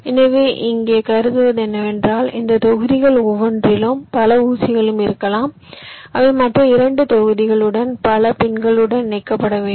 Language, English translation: Tamil, so what i here assume is that in each of these blocks there can be several pins which need to be connected to several other pins in other two blocks